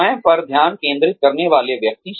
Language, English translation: Hindi, Individuals focusing on themselves